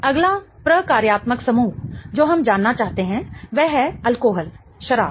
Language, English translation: Hindi, The next functional group we want to know is that of the alcohol